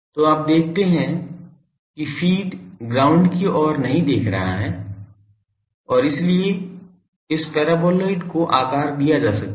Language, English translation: Hindi, So, you see the feed is not looking at the ground and feed so, this paraboloid can be shaped